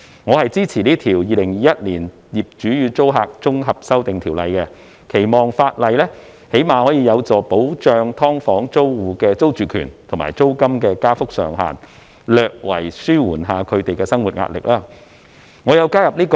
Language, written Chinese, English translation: Cantonese, 我支持這項《2021年業主與租客條例草案》，期望法例最少有助保障"劏房"租戶的租住權及租金加幅上限，略為紓緩他們的生活壓力。, I support the Landlord and Tenant Amendment Bill 2021 the Bill in the hope that the legislation will at least help provide security of tenure for SDU tenants and set a cap on the rate of rent increase thereby slightly alleviating the pressure on their livelihood